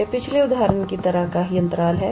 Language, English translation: Hindi, It is pretty much the similar interval like the previous example